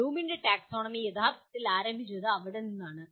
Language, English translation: Malayalam, So that is where the Bloom’s taxonomy originally started